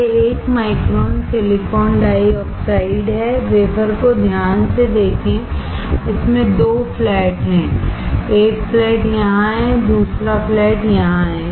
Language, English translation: Hindi, This is 1 micron silicon dioxide, carefully look at the wafer it has 2 flats, 1 flat is here, second flat is here